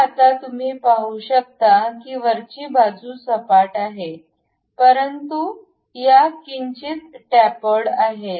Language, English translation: Marathi, So, now you can see the top side is flat one, but these ones are slightly tapered